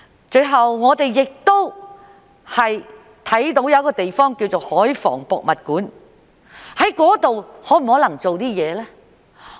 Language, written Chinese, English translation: Cantonese, 最後，我們看到一個地方，就是香港海防博物館，在那裏可否做一些事呢？, Eventually we came to a place the Hong Kong Museum of Coastal Defence . Is it possible for the authorities to do something there?